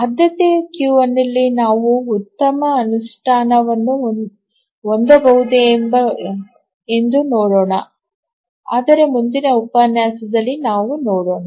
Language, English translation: Kannada, So, let's see whether we can have a better implementation than a priority queue but that we will look at the next lecture